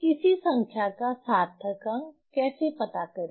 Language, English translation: Hindi, How to find out the significant figure of a number